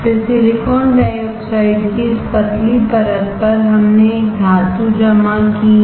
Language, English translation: Hindi, Then on this thin layer of silicon dioxide we have deposited a metal